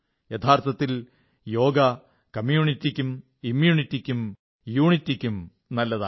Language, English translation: Malayalam, Truly , 'Yoga' is good for community, immunity and unity